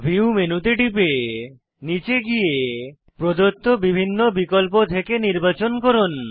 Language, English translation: Bengali, Scroll down the menu and choose from the various options provided